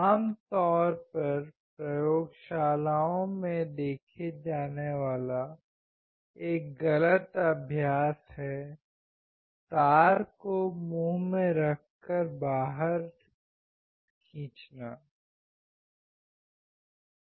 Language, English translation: Hindi, A wrong practice usually seen in the laboratories is putting the wire in the mouth and clipping it out